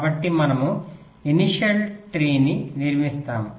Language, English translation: Telugu, so we construct the initials tree